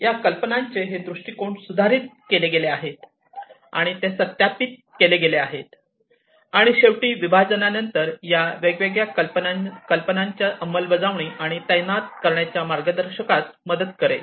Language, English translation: Marathi, These viewpoints of these ideas are revised and they are validated and finally, after division, these will be helping to guide further guide in the implementation and deployment of the different ideas